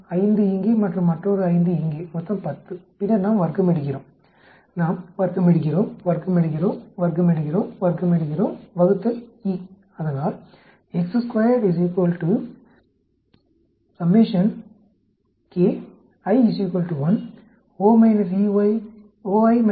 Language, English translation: Tamil, 5 here and another 5 here, totally 10 and then we do the squaring, we do the squaring, squaring, squaring, squaring divided by E, so summation of E minus O square divided by E, it comes out to be 6